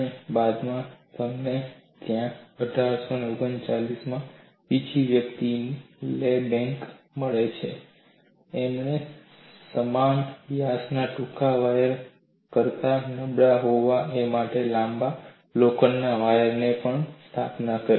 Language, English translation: Gujarati, You have to find out reasons for such a behavior, and later you find there another person Le Blanc in 1839, he also established long iron wires to be weaker than short wires of the same diameter